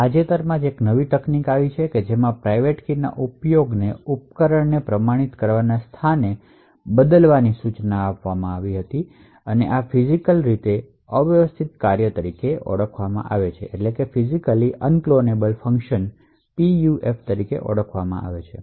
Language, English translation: Gujarati, Quite recently there has been a new technique which was suggested to replace the use of private keys as a mean to authenticate device, So, this is known as Physically Unclonable Functions